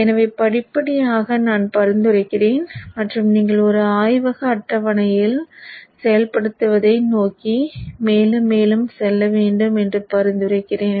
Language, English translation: Tamil, So gradually I will recommend and suggest that you should go more and more towards implementing on a lab table